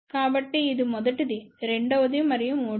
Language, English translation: Telugu, So, this is the first one, second and third one